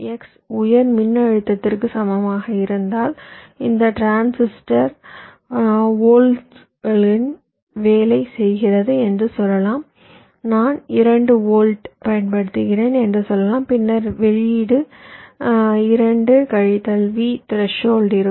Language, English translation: Tamil, but if x equals to high voltage, lets see, lets say this transistor is working at two volts, lets say i apply two volts, then the output will be two minus v threshold